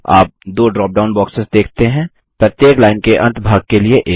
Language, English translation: Hindi, You see two drop down boxes one for each end of the line